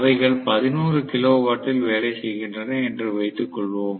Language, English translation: Tamil, Let me assume that they are working on 11 kilo volt